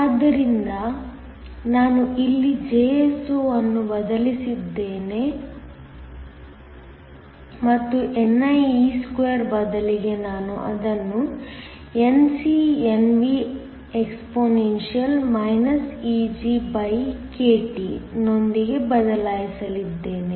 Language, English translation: Kannada, So, I am going to substitute the Jso here and instead of nie2 I am going to replace it with NcNvexp EgkT